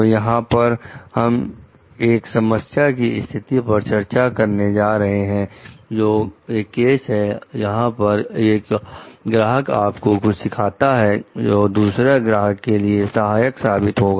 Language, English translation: Hindi, So, here we are going to discuss about a problem scenario which is where a case called one client teaches you something that would help another client